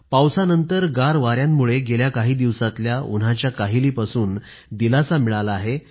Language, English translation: Marathi, As a result of the rains, the cool breeze has brought about some respite from the oppressive heat of past few days